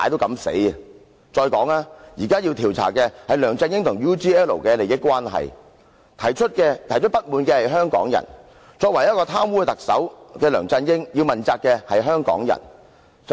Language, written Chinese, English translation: Cantonese, 現時要調查的是梁振英與 UGL 的利益關係，提出不滿的是香港人，貪污的特首梁振英也要向香港人問責。, We are now going to inquire into the interests involved between LEUNG Chun - ying and UGL . Hong Kong people are dissatisfied and the corrupt Chief Executive LEUNG Chun - ying should be accountable to Hong Kong people